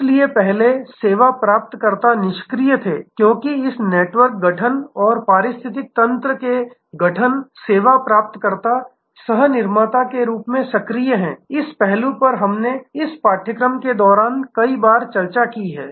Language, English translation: Hindi, So, earlier service recipient were passive, because of this network formation and ecosystem formation service recipient is active as a co producer, this aspect we have discussed number of times during this course